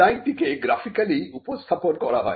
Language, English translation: Bengali, The design is also shown in a graphical representation